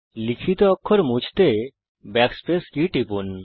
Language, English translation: Bengali, Press the Backspace key to delete typed characters